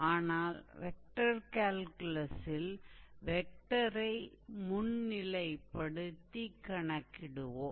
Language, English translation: Tamil, In our vector calculus part we will do the same thing actually